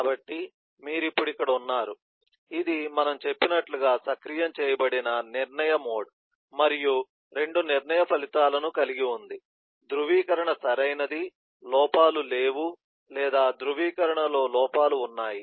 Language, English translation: Telugu, it is an activated decision mode, as we said, and having 2 decision outcomes of validation is ok, there is no errors, or validation has errors